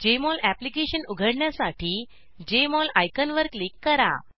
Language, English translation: Marathi, Click on the Jmol icon to open the Jmol Application window